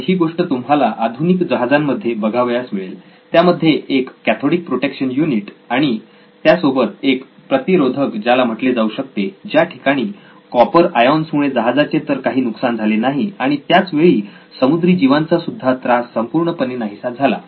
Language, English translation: Marathi, So, this is what you would probably find in a modern ship, a cathodic protection unit with anti fouling as it is called where a little bit of copper ions never did anything bad to the ship but marine life it definitely got rid of or put permanent end to that